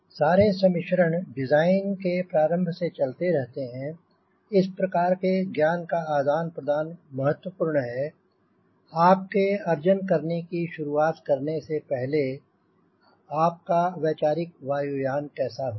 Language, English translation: Hindi, thats why, beginning of the design, i think this sort of a way knowledge exchange is important before you start conceiving what will be your conceptual aircraft